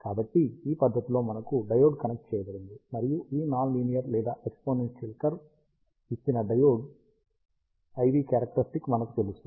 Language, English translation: Telugu, So, we have a diode connected in this fashion, and we know that the diode IV characteristic given by this non linear or exponential curve